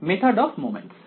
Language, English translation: Bengali, Method of moments